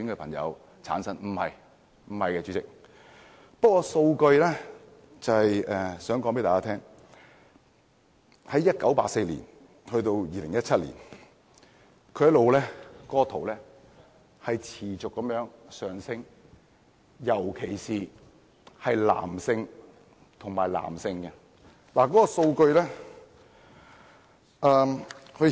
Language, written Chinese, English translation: Cantonese, 不是的，主席，我只不過是想藉數據想告訴大家，由1984年至2017年，這數字持續上升，特別是男男性接觸者。, The answer is in the negative . Chairman I only wish to use these data to tell Members that the figures of men who have sex with men MSM in particular have continued to rise between 1984 and 2017